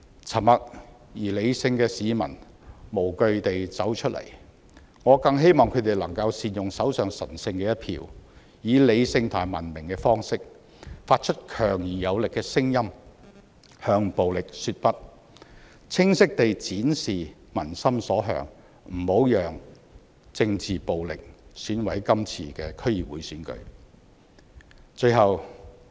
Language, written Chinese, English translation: Cantonese, 沉默和理性的市民無懼地走出來，我更希望他們能夠善用手上神聖的一票，以理性和文明的方式，發出強而有力的聲音，向暴力說"不"，清晰地展示民心所向，不要讓政治暴力損毀今次的區議會選舉。, The silent but sensible people have come out fearlessly . I also hope they will make good use of the sacred vote in their hands to strongly say no to violence in a rational and civilized manner and to state clearly the peoples aspiration that the DC Election should not be marred by political violence